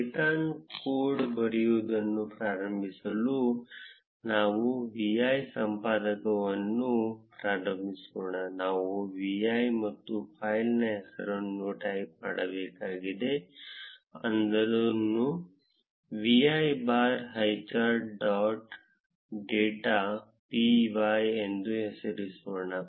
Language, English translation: Kannada, To start writing code in python, let us start the vi editor, we need to type v i and the name of the file, let us name it as vi bar highcharts dot p y